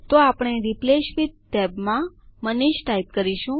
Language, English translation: Gujarati, So we type Manish in the Replace with tab